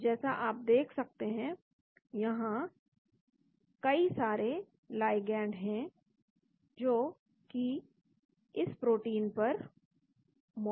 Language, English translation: Hindi, so you can see there are lots of ligands which are there present in this protein